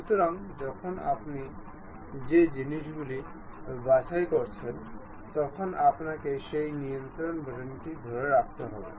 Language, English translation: Bengali, So, when you are picking the things you have to make keep hold of that control button